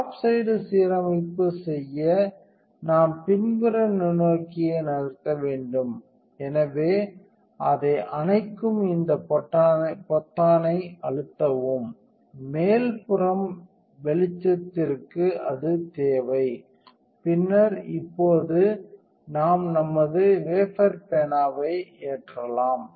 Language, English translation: Tamil, So, to do top side alignment we need to move the backside microscope, so we press this button that turns it off, also we need it for the illumination to the top side and then now we can load our wafer pen